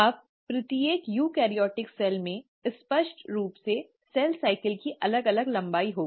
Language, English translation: Hindi, Now each eukaryotic cell will have obviously different lengths of cell cycle